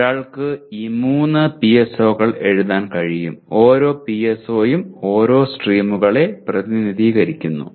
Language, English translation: Malayalam, One can write 3 PSOs, each PSO representing one of the streams